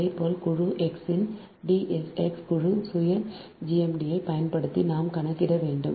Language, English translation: Tamil, similarly, using d s, x, group self, gmd of group x, we have to compute